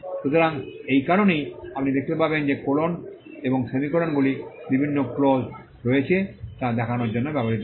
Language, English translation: Bengali, So, that is why you will find that colons and semicolons are used to show that there are different clauses